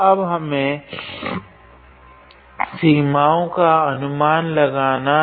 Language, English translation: Hindi, Now, we have to guess the limits